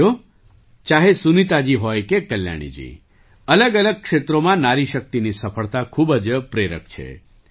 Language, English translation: Gujarati, Friends, whether it is Sunita ji or Kalyani ji, the success of woman power in myriad fields is very inspiring